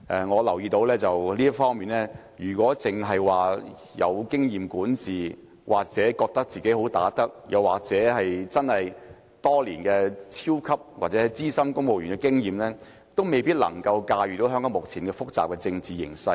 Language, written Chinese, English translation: Cantonese, 我留意到，在這方面來說，如果一個人只是有管治經驗或自覺"好打得"，又或真的擁有多年資深公務員的經驗，也未必能駕馭香港目前複雜的政治形勢。, In this respect as I have noticed a person may not be able to rein in the complicated political situation in Hong Kong today merely with administrative experience or the self - perception of being a good fighter or even years of experience as a civil servant